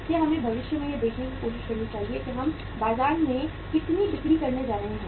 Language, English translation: Hindi, So we should try to look forward in future that how much we are going to sell in the market